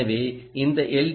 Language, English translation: Tamil, so this is i